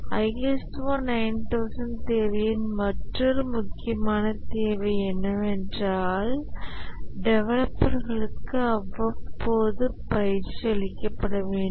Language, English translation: Tamil, Another important requirement of the ISO 9,000 requirement is that periodic training should be given to the developers